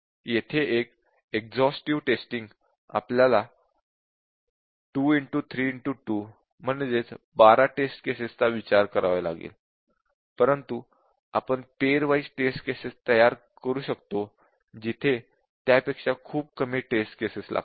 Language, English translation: Marathi, So, here just an exhaustive testing will consider 2 into 3 into 2 numbers of test cases, but we can generate pair wise test case which will take much less than that